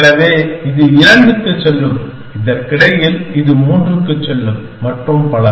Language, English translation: Tamil, So, this will go to 2 meanwhile, this will go to 3 and so on